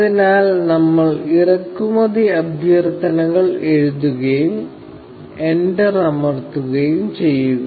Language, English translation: Malayalam, So, we write import requests, and press enter